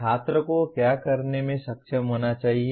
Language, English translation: Hindi, What should the student be able to do